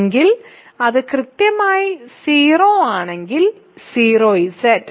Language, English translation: Malayalam, If, it is exactly 0 then I is 0Z right